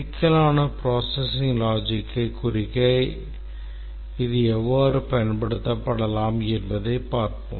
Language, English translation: Tamil, But then let's see how it can be used to represent complex processing logic